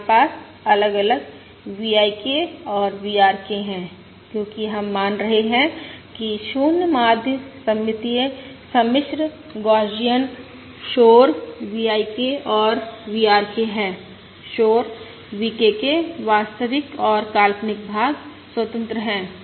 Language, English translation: Hindi, We have the different VI, K and VRK, because we are assuming 0 mean, symmetric, complex Gaussian noise V, IK and V